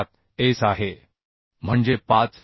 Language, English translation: Marathi, 7S that is 5